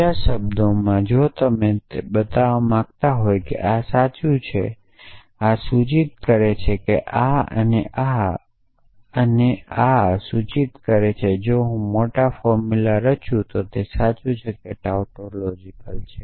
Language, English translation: Gujarati, So, in other words if you want to show that this is true, this implies this amount is showing that this and this and this and this implies this if I construct the large formula then that is true or tautology